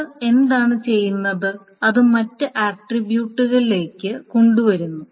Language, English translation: Malayalam, But what it does is that it brings into other attributes